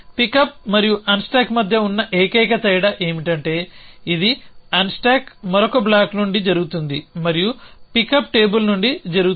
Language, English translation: Telugu, The only different between pick up and unstack is it unstack happens from another block and pick up happens from the table